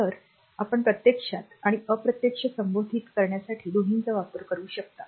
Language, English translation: Marathi, So, you can use both direct and indirect addressing